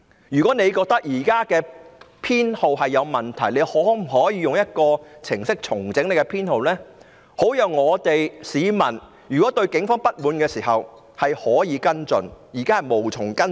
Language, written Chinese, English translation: Cantonese, 如果警方覺得現在的編號有問題，可否用一個程式重整編號，好讓市民對警方不滿時可以跟進？, If the Police consider that there are problems with the current identification numbers can a computer program be used to re - designate the numbers so that members of the public can follow up in case they are dissatisfied with the Police?